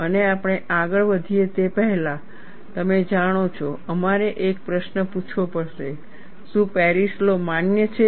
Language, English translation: Gujarati, And before we proceed further, you know we will have to ask a question, is Paris law valid